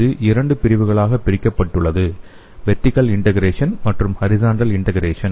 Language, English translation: Tamil, This is divided into two categories the vertical integration and horizontal integration